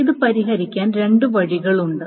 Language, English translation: Malayalam, There are a couple of ways of solving it